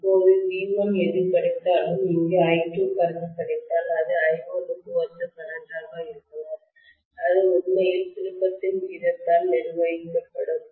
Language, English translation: Tamil, Now whatever is available as V1 I am going to say that if this is drawing a current of I2, this may be a current corresponds to I1 which will be actually governed by the turn’s ratio, right